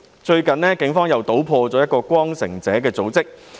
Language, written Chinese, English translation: Cantonese, 最近警方搗破一個名為"光城者"的組織。, The Police have recently cracked down on a group called Returning Valiant